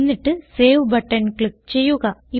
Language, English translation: Malayalam, Then click on Save button